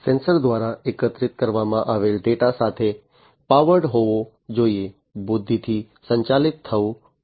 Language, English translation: Gujarati, The data that are collected by the sensors will have to powered with; will have to be powered with intelligence